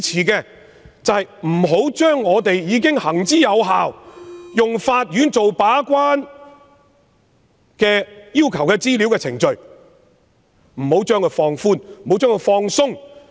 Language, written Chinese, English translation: Cantonese, 然而，對於我們行之有效、由法院把關的要求資料程序，我不支持放寬及放鬆。, Yet the procedure for requesting information where the Court acts as the gatekeeper has been proven so I will not support relaxing the requirement